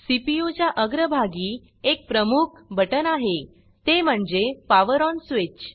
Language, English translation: Marathi, There is a prominent button on the front of the CPU which is the POWER ON switch